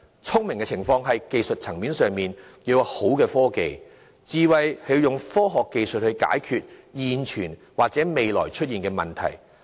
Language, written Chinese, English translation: Cantonese, 聰明是指在技術層面上，要有好的科技；智慧則是應用科學技術去解決現存及未來可能會出現的問題。, Cleverness refers to technicality that is the presence of sound technology; wisdom refers to application of technology for solving existing as well as future problems